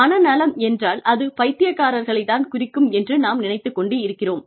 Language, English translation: Tamil, When, we talk about mental health, we think, we are referring to mad people